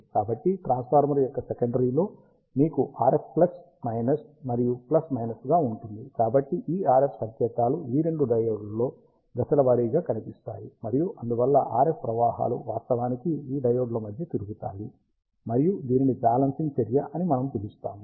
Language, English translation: Telugu, So, in the secondary of the transformer, you have RF as plus minus and plus minus, so both this RF signals appear across this diodes in out of phase manner, and that is why the RF currents actually circulate among these diodes, and we call this as a balancing action